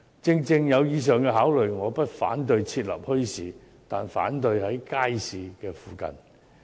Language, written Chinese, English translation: Cantonese, 正正基於以上考慮，我不反對設立墟市，但反對其設立在街市附近。, Owing to these considerations mentioned just now I do not oppose setting up any bazaars but I oppose setting them up near the markets